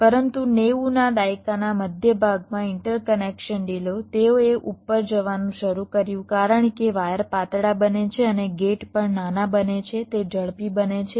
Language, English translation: Gujarati, but in the mid nineties the interconnection delays, well, they started to go up because the wires become thinner and also the gates become smaller, they become faster